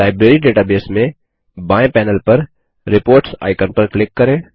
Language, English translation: Hindi, In the Library database, Let us click on the Reports icon on the left panel